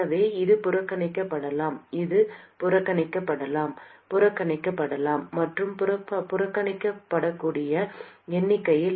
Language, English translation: Tamil, So, this can be neglected, this can be neglected, that can be neglected, and in the numerator that can be neglected